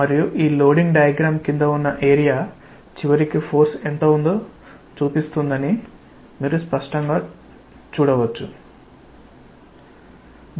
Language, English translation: Telugu, And you can clearly see that the area under this loading diagram we will eventually give you what is the force